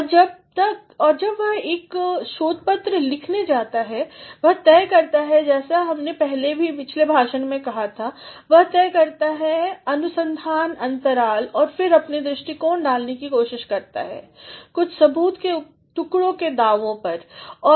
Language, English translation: Hindi, And, then when he goes to write a research paper he decides as we have said in the previous lecture, the decides the research gaps and then tries to put in his views with some pieces of evidence and claims